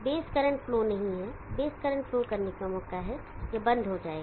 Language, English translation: Hindi, There is no base current flow, chance for base current to flow this will turn off